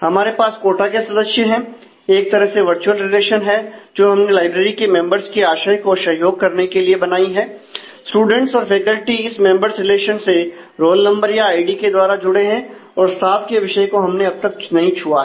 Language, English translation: Hindi, We have quota members has the virtual kind of relation that we have created to support the notion of members of the library and students and faculty are related to this members either through roll number or through id in a selective manner and staff we have not touched